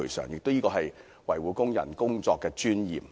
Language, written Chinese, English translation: Cantonese, 有關規定是維護工人工作的尊嚴。, These requirements seek to protect the dignity of workers